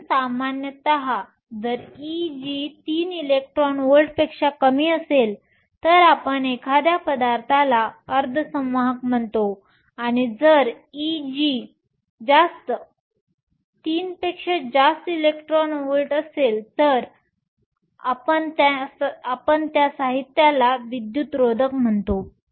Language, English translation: Marathi, So, typically if E g is less than three electron volts we call a material as semiconductor, and if E g is greater 3 electron volts we call the materials and insulator